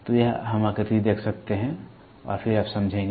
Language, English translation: Hindi, So, we can see the figure and then you will understand